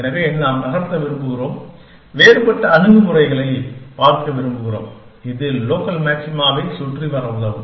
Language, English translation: Tamil, So, we want to move, we want to look at different other approaches which will help us get around local maxima